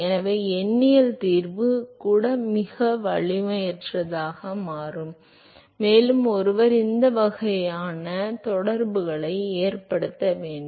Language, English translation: Tamil, So, even numerical solution become a very very non formidable also one has to result to these kinds of correlation